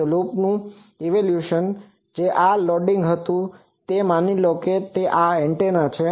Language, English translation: Gujarati, So, evaluation of loop that these were loadings this is suppose the actual antenna